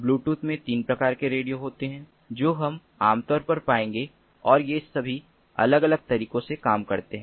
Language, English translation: Hindi, in bluetooth, there are three types of radios that we will typically find, and they all operate in different ways